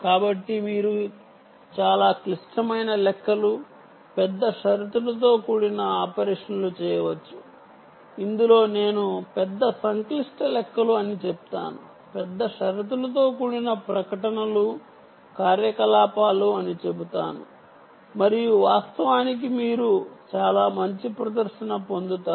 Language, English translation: Telugu, so here you can carry out very complex um calculations, ah, large conditional operations, which include, i would say large complex calculations, means ah, large conditional um, large, basically large conditional statements, i would say conditional operations, and of course you get very good ah performance, good performance right